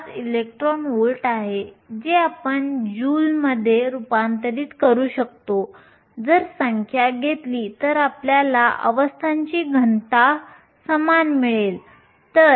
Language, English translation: Marathi, 5 electron volts which we can convert into joules if we do the numbers we get the density of states to be equal